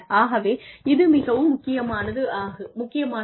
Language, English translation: Tamil, So, this is very, important